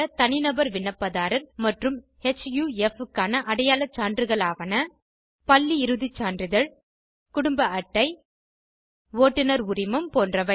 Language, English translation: Tamil, Proof of identity for Individual applicants and HUF are School leaving certificate Ration Card Drivers license etc